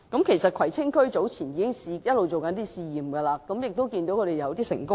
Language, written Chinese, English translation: Cantonese, 其實，葵青區早前一直進行試驗，亦已取得一些成功。, Actually a trial run has been underway in Kwai Tsing all along with some success